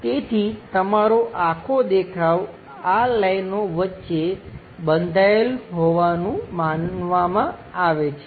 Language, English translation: Gujarati, So, your entire view supposed to be bounded in between these lines